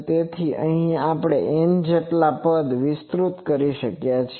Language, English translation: Gujarati, So, here thinking that up to N number of terms we are expanding